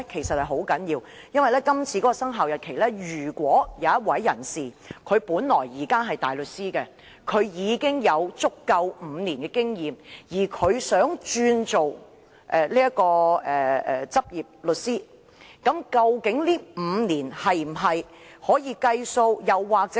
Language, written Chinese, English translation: Cantonese, 《修訂規則》的生效日期......任何人如現時是大律師並有不少於5年執業經驗，而他想轉為律師，究竟這5年經驗是否能計算在內？, The commencement date of the Amendment Rules If anyone who is currently a barrister with at least five years practising experience wishes to become a solicitor does such five years experience count?